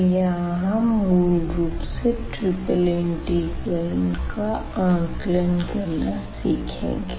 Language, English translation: Hindi, Today we will learn about the triple integrals